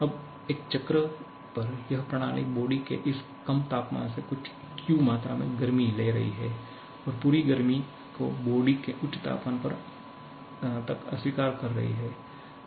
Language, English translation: Hindi, Now, this system over a cycle is taking some Q amount of heat from this low temperature of body and rejecting the entire heat to the high temperature of body